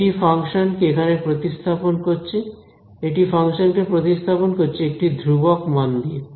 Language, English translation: Bengali, It kept it, it replaced the function over here, it replaced the function by a constant value right